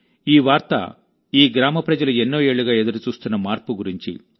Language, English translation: Telugu, This news was about a change that the people of this village had been waiting for, for many years